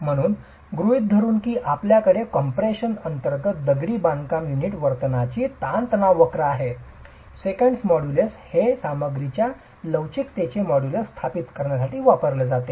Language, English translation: Marathi, So, assuming that you have the stress strain curve of the behavior of the masonry unit under compression, the Seekind modulus is what is used to establish the modulus of elasticity of the material